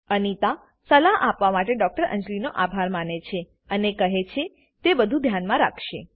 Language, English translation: Gujarati, Anita thanks Dr Anjali for her advice and says she will keep them in mind